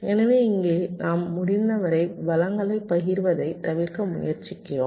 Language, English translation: Tamil, so here we are trying to avoid the sharing of resources as much as possible